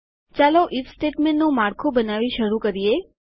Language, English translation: Gujarati, Lets start by creating the IF statement structure